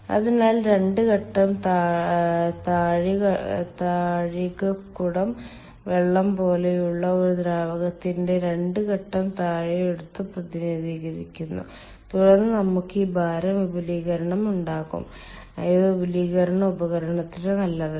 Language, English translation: Malayalam, so the two phase dome represents the um, two phase dome of a fluid like water and for then we will have this weight expansion which is not good for the expansion device